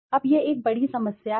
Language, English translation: Hindi, Now this is a big problem